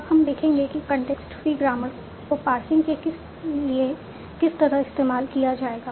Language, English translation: Hindi, Now we will see how do we use context free grammars for the actual parsing